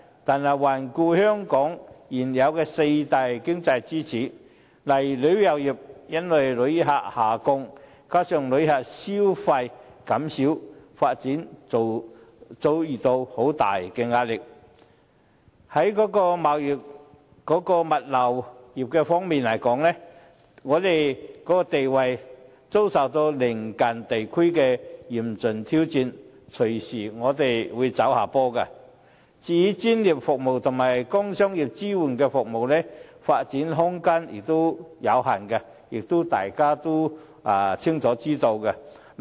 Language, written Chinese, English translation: Cantonese, 然而，環顧香港現有的四大經濟支柱，旅遊業因為旅客下降，加上旅客消費減少，發展遭遇很大壓力；在貿易物流業方面，我們的地位遭受鄰近地區的嚴峻挑戰，隨時會走下坡；至於專業服務及工商業支援服務發展空間有限，也是眾所周知。, However with regard to the four existing economic pillars of Hong Kong the tourism industry has encountered great pressure in development due to the decreased number of tourists and reduced visitor spending; on trading and logistics our position has been seriously challenged by the neighbouring regions; as for professional services and producer services it is a well - known fact that there is limited room for development